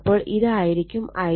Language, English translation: Malayalam, So, and this is the current I 0